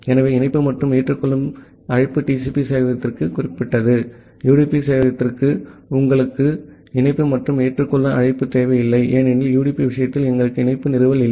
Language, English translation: Tamil, So, the connect and accept call are specific to the TCP server; for the UDP server you do not require the connect and accept call, because we do not have a connection establishment in case of UDP